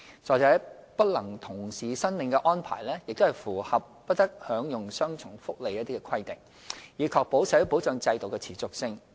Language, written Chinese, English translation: Cantonese, 再者，不能同時申領的安排亦符合"不得享用雙重福利"的規定，以確保社會保障制度的持續性。, In addition such arrangement is in line with the no double benefits rule which ensures the sustainability of the social security system